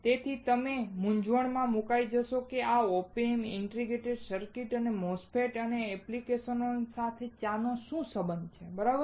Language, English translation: Gujarati, So, you will be confused why and how come this OP Amps, integrated circuits and MOSFETS and their application has something to do with tea, right